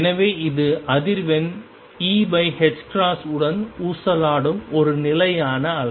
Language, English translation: Tamil, So, this is a stationary wave oscillating with frequency e by h cross